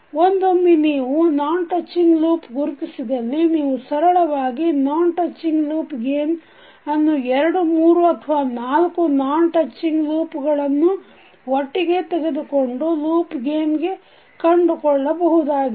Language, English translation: Kannada, So when you identify non touching loops you will be, you can easily find out the non touching loop gains from the non touching loops taken two at a time or three or four at a time